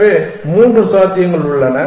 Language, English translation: Tamil, So, there are three possibilities